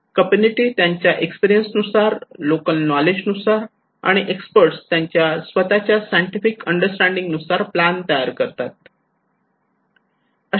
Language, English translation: Marathi, Community from their own experience, from own local knowledge, and the expert from their own expertise scientific understanding